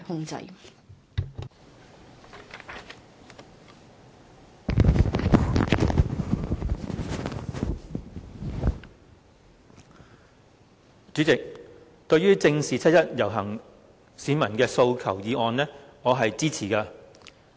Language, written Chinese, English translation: Cantonese, 代理主席，對於"正視七一遊行市民的訴求"議案，我是支持的。, Deputy President I support the motion on Facing up to the aspirations of the people participating in the 1 July march